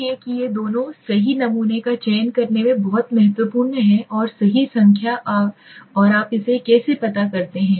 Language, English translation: Hindi, So that why these two are very important selecting the right sample and the right number okay so what is how do you do it